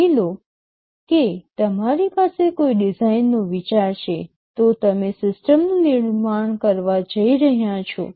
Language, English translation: Gujarati, Suppose you have a design idea, you are going to manufacture the system